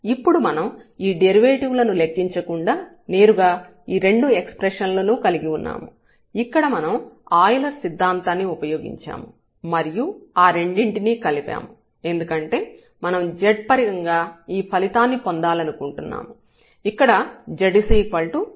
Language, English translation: Telugu, So, this will become 0 there and now we have these 2 expressions directly without computing these derivatives here, we have used this Euler’s theorem and we can add them because we want to get this result in terms of z there is u 1 plus u 2